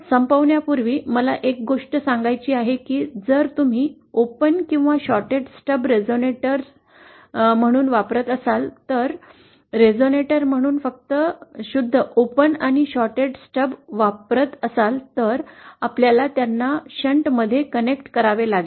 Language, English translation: Marathi, So one thing before ending I want to to impress upon you is that if you are using open or shorted Stubs as a resonator, just pure open and shorted stubs as a resonator, then you have to connect them in shunt